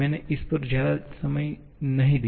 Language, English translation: Hindi, I did not spend too much time on this